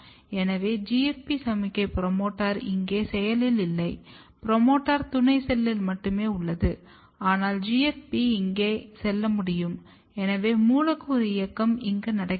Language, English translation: Tamil, So, GFP signal the promoter is not active here promoter is only up in the in the companion cell, but GFP can move here; so, molecular movement is happening here